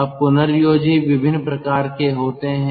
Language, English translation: Hindi, regenerators are of different types